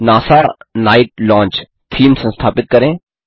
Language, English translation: Hindi, * Install the theme NASA night launch